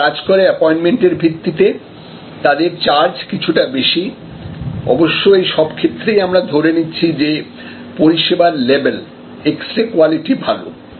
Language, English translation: Bengali, Then, only operate on the basis appointment the prices are higher, but; obviously, all this cases will assume that the service level is, that x ray level is, x ray quality is good